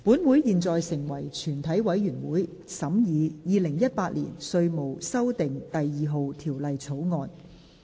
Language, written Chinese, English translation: Cantonese, 本會現在成為全體委員會，審議《2018年稅務條例草案》。, Council now becomes committee of the whole Council to consider the Inland Revenue Amendment No . 2 Bill 2018